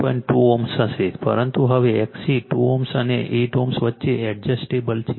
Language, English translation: Gujarati, 2 ohm, but now x C is adjustable between 2 ohm and 8 ohm